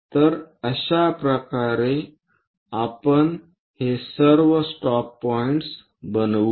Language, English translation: Marathi, So, in that way, we will construct all these stop points